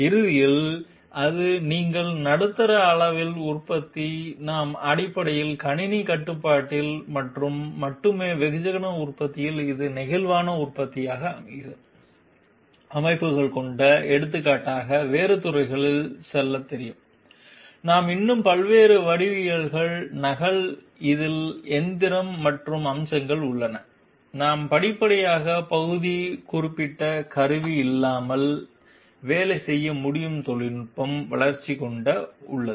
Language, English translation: Tamil, And ultimately it will you know move on to different other fields for example, in middle level production we are having flexible manufacturing systems, which is basically computer controlled and only in mass production we have Special purpose machines in in a there are other aspects of machining in which we have copy of different geometries still, there also we we are gradually having the development of technology which can work without part specific tooling